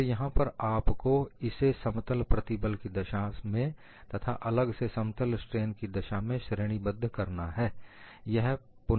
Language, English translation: Hindi, And here you will have to classify this for a plane stress case separately and plane strain case separately